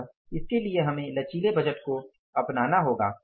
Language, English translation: Hindi, So, for that we need the flexible budget